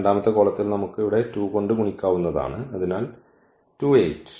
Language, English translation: Malayalam, And in the second column we can place for instance we multiplied by 2 here, so 8 and 2